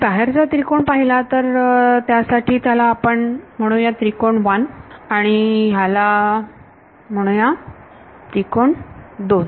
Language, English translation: Marathi, For the triangle outside over here, let us call it triangle 1 and this call it triangle 2